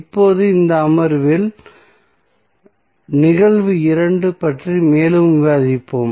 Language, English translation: Tamil, Now, in this session we will discuss more about the case 2, what is case 2